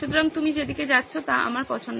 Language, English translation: Bengali, So I like the direction in which you are going